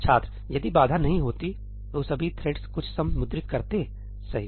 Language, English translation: Hindi, If barrier wasnít there, all threads would have printed some sum, right